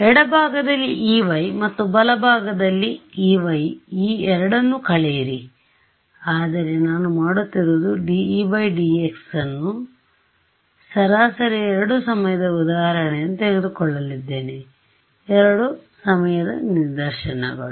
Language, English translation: Kannada, So, E y on the left and E y on the right and subtract these two, but what I do is d E y by dx I am going to take the average over 2 time instance; 2 time instances